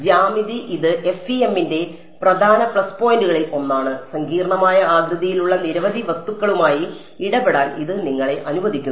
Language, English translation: Malayalam, Then geometry this is one of the major plus point of FEM, it allows you to deal with many complex shaped objects